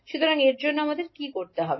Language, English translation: Bengali, So for that what we have to do